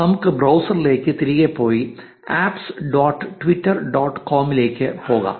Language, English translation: Malayalam, Let us go back to the browser and navigate to apps dot twitter dot com